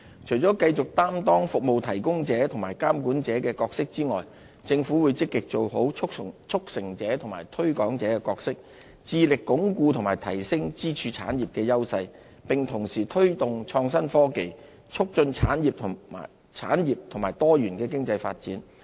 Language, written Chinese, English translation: Cantonese, 除了繼續擔當"服務提供者"和"監管者"的角色外，政府會積極做好"促成者"和"推廣者"的角色，致力鞏固及提升支柱產業的優勢，並同時推動創新科技，促進產業及多元經濟發展。, The Government in addition to discharging its responsibilities as a service provider and a regulator will take the initiative to perform the new roles of a facilitator and a promoter in order to consolidate and enhance the advantages of our pillar industries develop innovation and technology as well as promote the development of our industries and economic diversification